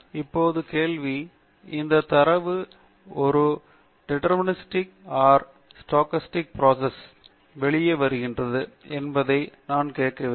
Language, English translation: Tamil, Now the question is should I ask whether this data comes out of a deterministic or a stochastic process